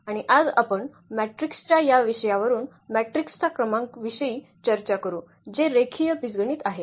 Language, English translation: Marathi, And today we will discuss Rank of a Matrix from this topic of the matrix which are linear algebra